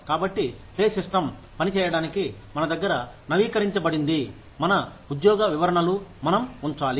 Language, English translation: Telugu, So, in order to have, pay systems function, we have, we need to keep our job descriptions, updated